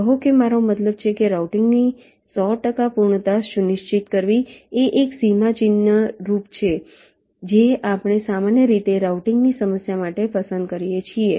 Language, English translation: Gujarati, i mean ensuring hundred percent completion of routing is one of the milestones that we usually select for the problem of routing